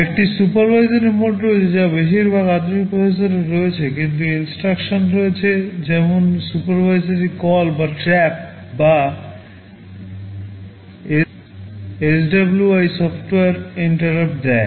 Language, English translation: Bengali, There is a supervisory mode which most of the modern processors have, there are some instructions like supervisory call or trap or SWI software interrupt